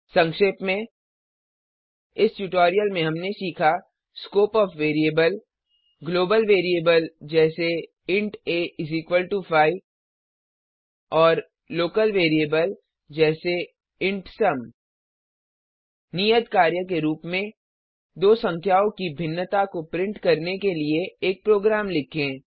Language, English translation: Hindi, let us summarise In this tutorial we learnt , Scope of variable, Global variable, e.g#160: int a=5 amp And local variable ,e.g:int sum As an assignment, Write a program to print the difference of two numbers